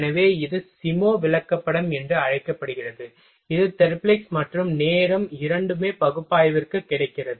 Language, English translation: Tamil, So, this is called SIMO chart here both thing Therblig and time is available for analysis